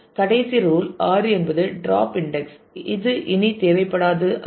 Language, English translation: Tamil, The last rule 6 is drop index that are no longer required